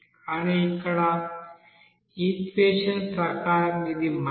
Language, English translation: Telugu, But here as per equation it is minus